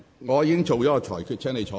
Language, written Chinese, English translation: Cantonese, 我已就此作出了裁決。, I have made a ruling on this